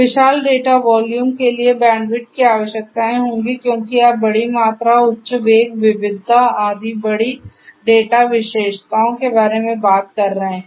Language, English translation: Hindi, Bandwidth requirements for huge data volume will be there because you are talking about huge volume, high velocity, volume, variety, and so on all this big data characteristics